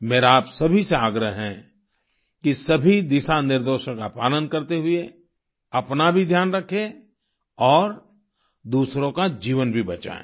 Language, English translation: Hindi, I urge all of you to follow all the guidelines, take care of yourself and also save the lives of others